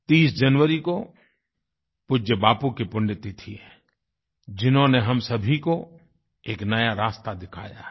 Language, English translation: Hindi, The 30 th of January is the death anniversary of our revered Bapu, who showed us a new path